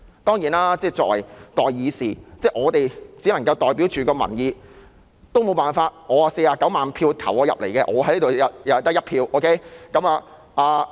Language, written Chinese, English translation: Cantonese, 當然，作為代議士，我們只能代表民意，我也沒有辦法，雖然我獲49萬選票選進來，但在這裏我只得1票。, Certainly as the representatives of the people we can only present peoples views on their behalf . I can do nothing about it . Although I was elected by 490 000 supporting votes I can only cast one vote here